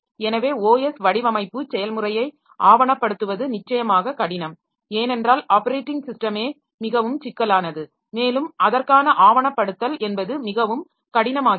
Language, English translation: Tamil, So, documenting the OS design process is definitely difficult because OS itself is very complex and then documenting for that becomes more difficult